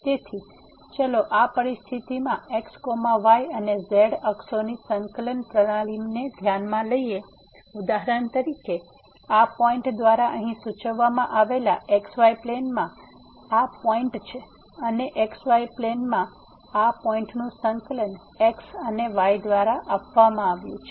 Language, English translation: Gujarati, So, in this situation let us consider the coordinate system of and axis and for example, this is the point in the plane denoted by this point here and the coordinate of this point in the plane are given by and